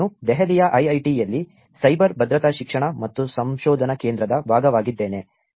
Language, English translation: Kannada, I am a part of Cyber Security Education and Research Center at IIIT, Delhi